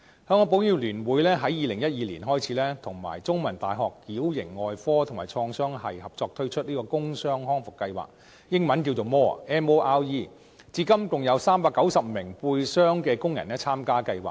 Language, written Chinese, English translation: Cantonese, 香港保險業聯會在2012年開始聯同香港中文大學矯形外科及創傷學系合作推出工傷康復計劃，英文簡稱 "MORE"， 至今共有390名背傷的工人參加計劃。, The Hong Kong Federation of Insurers launched a work injury rehabilitation programme in 2012 in collaboration with the Department of Orthopedics and Traumatology of The Chinese University of Hong Kong . The programme named Multidisciplinary Orthopedics Rehabilitation Empowerment MORE has 390 participating workers with back injuries